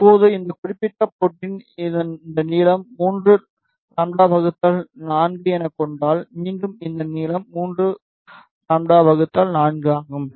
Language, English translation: Tamil, Now, if you see at this particular port this length is 3 lambda by 4, again this length is 3 lambda by four